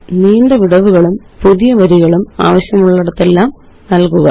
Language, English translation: Malayalam, Add long gaps and newlines wherever necessary